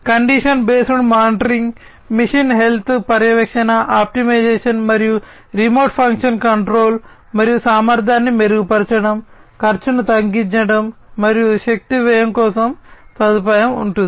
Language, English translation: Telugu, There would be provision for condition based monitoring, monitoring of machine health, optimization, and remote function control, and improving upon the efficiency, lowering the cost, and the energy expense